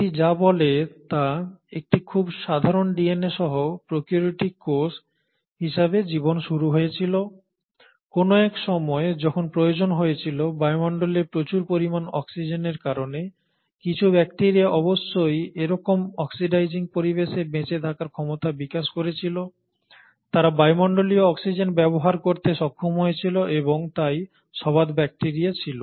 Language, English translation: Bengali, What it says is the life started as a prokaryotic cell with a very simple DNA, but somewhere around the time when there became a need, because of the atmosphere having high amounts of oxygen, some bacteria must have developed the ability to survive in such an oxidising conditions, and they were able to utilise atmospheric oxygen and hence were aerobic bacteria